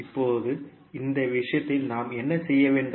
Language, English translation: Tamil, Now, in this case what we have to do